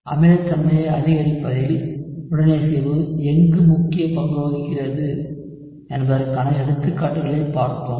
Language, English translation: Tamil, Then we had looked at examples as to where resonance plays an important role in increasing the acidity